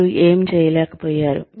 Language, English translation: Telugu, What you were not able to do